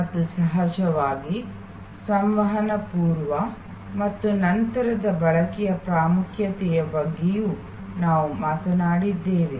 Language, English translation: Kannada, And of course, we have also talked about the importance of communication pre as well as post consumption